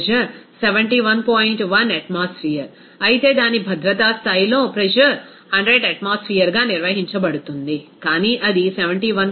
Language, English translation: Telugu, 1 atmosphere, whereas at its safety level, the pressure will be maintained as 100 atmosphere, but it is coming as 71